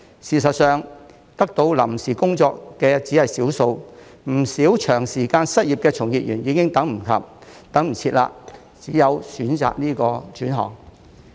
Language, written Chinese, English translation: Cantonese, 事實上，獲得臨時工作的只是少數，不少長時間失業的從業員已等不及，只有選擇轉行。, In fact only a small number of people have been offered temporary jobs and many of those who have been unemployed for a long time can wait no more and have no choice but to switch to other trades